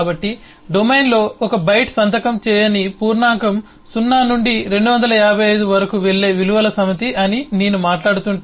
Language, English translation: Telugu, so if am talking about, say, 1 byte eh unsigned integer in the domain, is the set of values going from 0 through 255